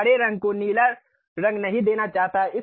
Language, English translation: Hindi, I do not want to give green color a blue color